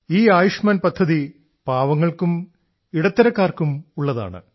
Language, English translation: Malayalam, See this Ayushman Bharat scheme for the poor in itself…